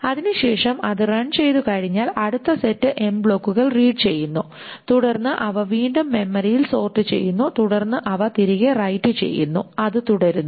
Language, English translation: Malayalam, Then once that is run, the next set of end blocks are red, then they are red, then they are again sorted in memory and then they are written back and so on, so forth